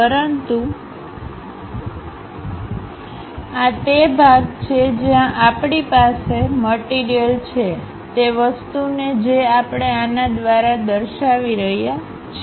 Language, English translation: Gujarati, But this is the portion where we have material, that material what we are representing by this